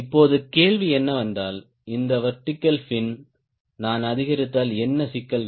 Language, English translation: Tamil, now question is: if i go on increasing this vertical fin, what are the problems